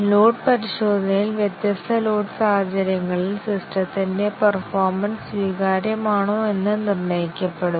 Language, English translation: Malayalam, In load testing, it is determined whether the performance of the system under different load conditions acceptable